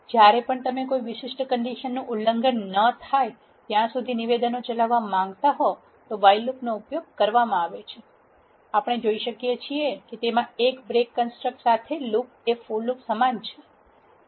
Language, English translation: Gujarati, A while loop is used whenever you want to execute statements until a specific condition is violated, we can see it as an akin to for loop with if break construct